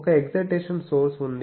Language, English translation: Telugu, So, there is an excitation source